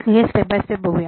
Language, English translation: Marathi, Let us go step by step